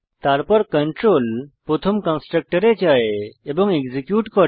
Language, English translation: Bengali, Then, the control goes to the first constructor and executes it